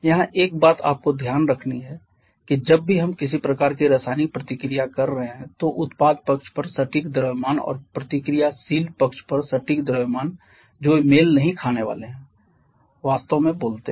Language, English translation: Hindi, Here one thing you have to keep in mind that whenever we are having some kind of chemical reaction the exact mass on the product side and exact mass on the reactant side they are not going to match truly speaking